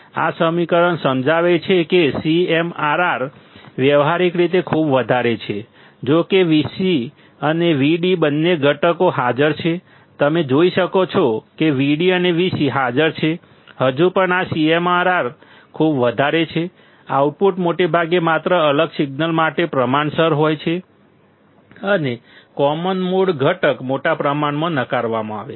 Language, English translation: Gujarati, This equation explains that a CMRR is practically very large, though both V c and V d components are present; you can see V d and V c are present, still this CMRR is very large; the output is mostly proportional to the different signal only and common mode component is greatly rejected